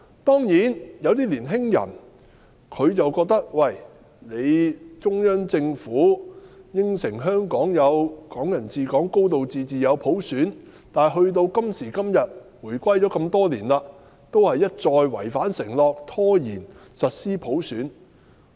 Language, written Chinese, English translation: Cantonese, 當然，有些年輕人覺得，中央政府承諾香港可以"港人治港"、有"高度自治"、有普選，但時至今日，回歸多年，中央政府一再違反承諾，拖延實施普選。, Certainly some young people hold that the Central Government undertook that Hong Kong would enjoy Hong Kong people ruling Hong Kong a high degree of autonomy and universal suffrage but over the many years after the reunification the Central Government has broken its undertaking time and again and delayed the implementation of universal suffrage